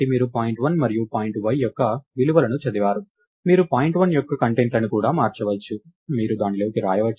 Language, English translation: Telugu, So, you have read the values of point 1 and point y, you can also go and change the contents of point 1, you can also write to it